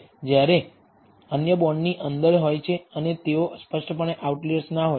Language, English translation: Gujarati, While the others are within the bond and they are de nitely not out outliers